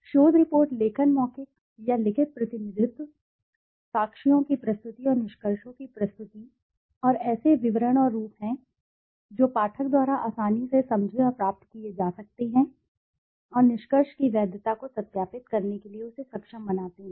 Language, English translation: Hindi, The research report writing is the oral or written representation, presentation of the evidence and the findings in such detail and form as to be readily understood and accessed by the reader and as to enable him to verify the validity of the conclusions